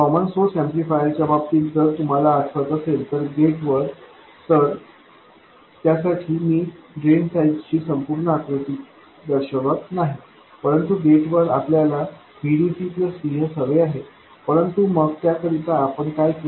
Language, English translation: Marathi, In case of the common source amplifier if you recall, the gate, I won't show the complete picture on the drain side, but the gate we had to get VDC plus VS